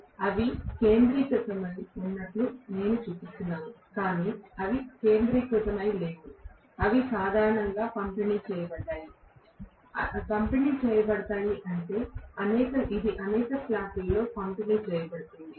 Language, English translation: Telugu, I am showing them as though they are concentrated but they are not concentrated, they will be distributed normally, distributed meaning it is going to be distributed over several slots